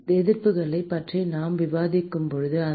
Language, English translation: Tamil, when we discussed about the resistances, that the